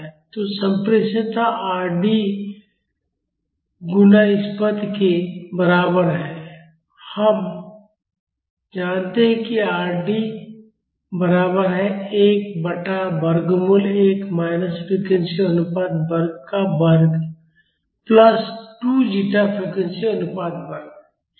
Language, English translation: Hindi, So, the transmissibility is equal to Rd times this term and we know Rd is equal to 1 by square root of 1 minus frequency ratio square the whole square plus 2 zeta frequency ratio the whole square